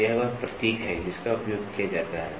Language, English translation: Hindi, So, this is the symbol which is used